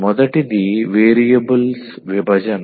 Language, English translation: Telugu, The first one is the separation of variables